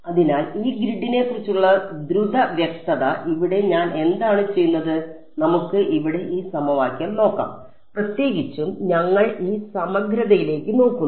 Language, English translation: Malayalam, So, quick clarification about this grid over here what I my do so, let us look at this equation over here and in particular we are looking at this integral